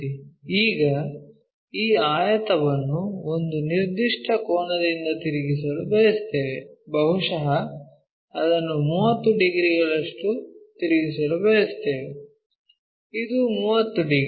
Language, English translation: Kannada, Now, we would like to rotate this rectangle by certain angle, maybe let us say 30 degrees we would like to rotate it, this one 30 degrees